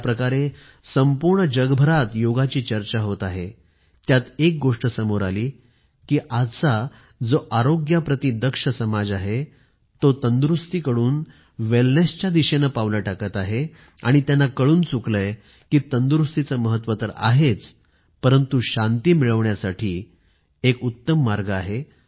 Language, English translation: Marathi, One significant outcome of the way the yoga is being talked about all around the world is the portent that today's health conscious society is now taking steps from fitness to wellness, and they have realised that fitness is, of course, important, but for true wellness, yoga is the best way